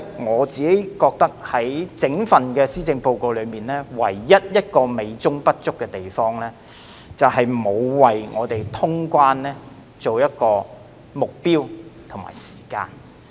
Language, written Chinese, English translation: Cantonese, 我認為整份施政報告唯一美中不足之處，就是沒有為通關訂下目標和時間。, In my opinion the only inadequacy of the entire Policy Address is that it has not set a target or timetable for the resumption of quarantine - free travel